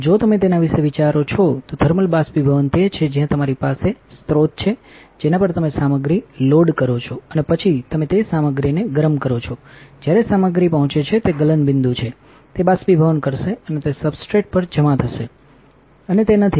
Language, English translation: Gujarati, If you think about it thermal evaporation is where you have a source, on which you load the material and then you heat that material when the material reaches it is melting point, it will evaporate and it will deposit on the substrate is not it